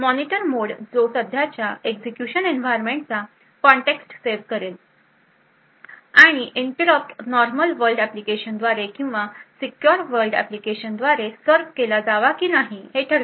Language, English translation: Marathi, The Monitor mode which saves the context of the current executing environment and then decide whether that interrupt can be should be serviced by a normal world application or a secure world application